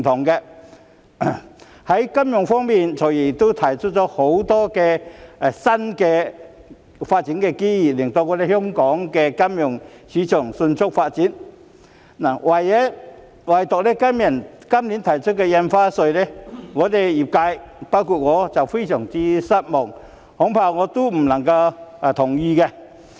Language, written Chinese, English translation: Cantonese, 在金融方面，"財爺"亦提出了許多新的發展機遇，令香港的金融市場迅速發展，唯獨今年提出增加股票交易印花稅，讓業界——包括我在內——感到非常失望，恐怕我不能同意。, On the financial front FS has also proposed various new development opportunities to facilitate the rapid development of Hong Kongs financial market . However his proposal to raise the rate of stamp duty on stock transfers Stamp Duty this year has seriously disappointed the industry including me with which I am afraid I cannot agree